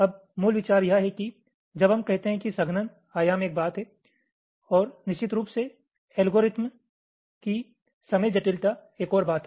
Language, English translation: Hindi, now, the basic idea is that when we say aspects of computing, of compaction, dimension is one thing and, of course, the time complexity of the algorithm is another thing